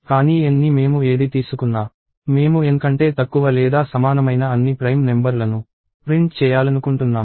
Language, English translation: Telugu, But whatever N I take, I want to print all prime numbers that are less than or equal to N